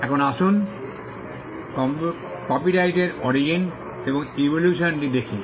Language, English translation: Bengali, Now, let us look at the Origin and Evolution of Copyright